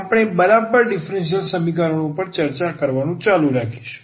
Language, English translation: Gujarati, So, we will continue discussing Exact Differential Equations